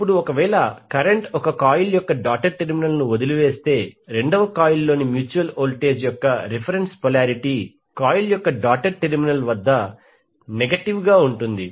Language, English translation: Telugu, Now if the current leaves the doted terminal of one coil the reference polarity of the mutual voltage in the second coil is negative at the doted terminal of the coil